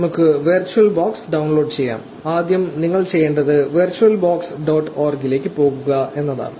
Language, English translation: Malayalam, Let us download virtual box, first of all you have to do is go to virtual box dot org